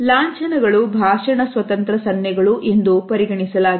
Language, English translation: Kannada, Emblems are a speech independent gestures